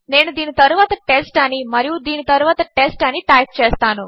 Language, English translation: Telugu, I will just type test after this and test after this